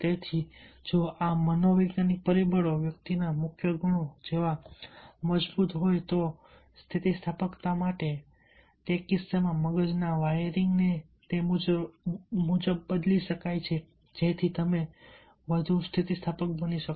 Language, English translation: Gujarati, so therefore, even if the this psychological factors are strong, like the core qualities of the individual, are there for resilience, then in that case the brain wearing can be changed accordingly so that you can be more resilient too